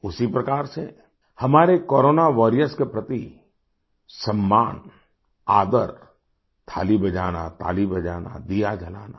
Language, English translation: Hindi, Similarly, expressing honour, respect for our Corona Warriors, ringing Thaalis, applauding, lighting a lamp